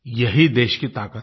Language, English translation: Hindi, This is the nation's strength